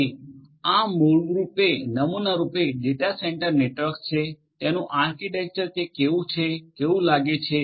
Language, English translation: Gujarati, So, this is basically typical data centre network, architecture how it is how it looks like